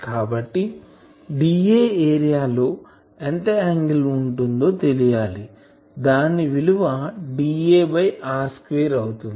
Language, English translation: Telugu, So, d A area will subtend how much angle , this will be d A by r square